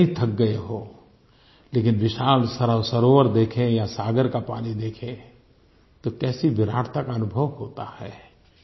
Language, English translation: Hindi, No matter how tired we are; when we see a large lake or an ocean, how magnificent that sight is